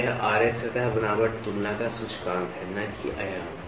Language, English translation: Hindi, So, this Ra is an index of surface texture comparison and not a dimension